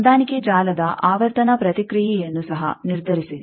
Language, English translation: Kannada, Also determine the frequency response of the matching network